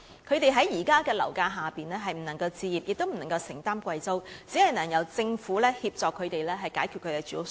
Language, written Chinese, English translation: Cantonese, 他們在目前的樓價下既無法置業，亦無法承擔昂貴的租金，只能夠由政府協助他們解決住屋需要。, Given the current property prices they can neither buy any property nor afford the expensive rents . The Government is the only one who can help them meet their housing needs